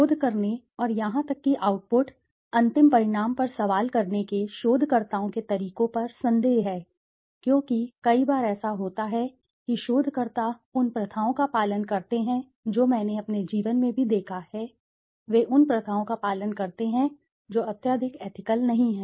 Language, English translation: Hindi, There are doubts over the researchers methods of doing, of conducting the research and even questioning the output, the final outcome because some many a times what happens is researchers follow practices which I have also seen in my life, that they follow practices which are not highly ethical